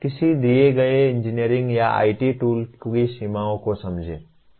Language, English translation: Hindi, Understand the limitations of a given engineering or IT tool